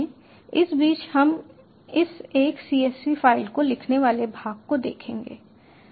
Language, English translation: Hindi, the meanwhile will look into this writing from a csv file part